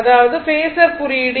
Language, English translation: Tamil, That means, my phasor notation